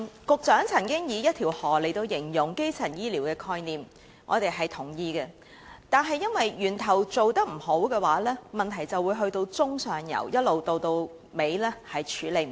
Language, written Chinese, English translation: Cantonese, 局長曾經以"一條河"來形容基層醫療的概念，我們表示認同，因為若源頭的工作做得不好，問題便會一直在中上游累積，無法處理。, The Secretary has described the concept of primary health care as a river . We agree because if the work at the source is not done properly problems will be accumulated all the way in the middle and upper streams and remain unsolved